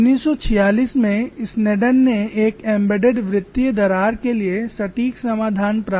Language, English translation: Hindi, To summarize here, Sneddon in 1946 obtained the exact solution for an embedded circular crack